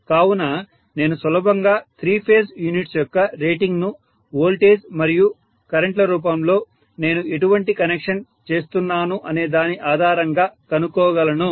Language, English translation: Telugu, So I should be able to easily calculate the three phase units rating in terms of voltages and currents based on in what connection I am making it